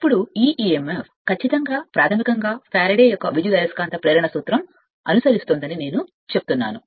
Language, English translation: Telugu, Now, this is what I say that this and this emf strictly basically Faraday’s law of electromagnetic induction right